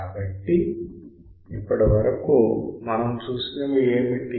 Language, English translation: Telugu, So, what we have seen until now